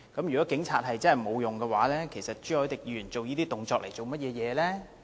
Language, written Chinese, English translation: Cantonese, 如果警察真的沒有用，其實朱凱廸議員做這些動作來幹嘛呢？, If the Police really cannot do much help why has he taken the above actions?